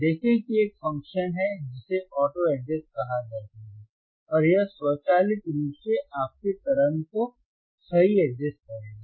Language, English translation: Hindi, See there is a function called auto adjust and it will automatically adjust your waveform right